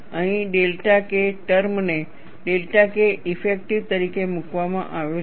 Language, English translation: Gujarati, Here, the delta K term is put as delta K effective